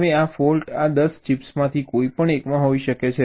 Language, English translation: Gujarati, now, this fault can be in any one of these ten chips, right